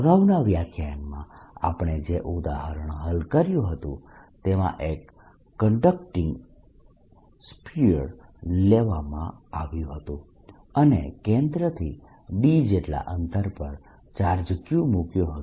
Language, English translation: Gujarati, the example we solve in the previous lecture was: taken a conducting sphere and put charge q at a distance d from it centre